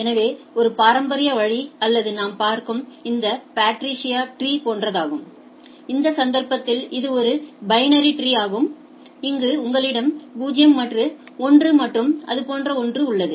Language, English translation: Tamil, So, one very traditional way of or looking at it is this Patricia Tree; where it is in this case it is a binary, where you have 0 and 1 and type of thing